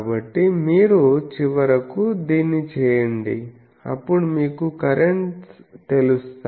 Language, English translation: Telugu, So, if you very finally, do this then you know the currents